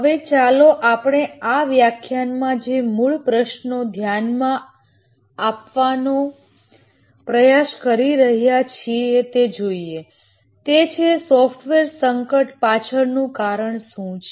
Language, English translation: Gujarati, Now let's look at the basic question that we have been trying to address in this lecture is that what is the reason behind software crisis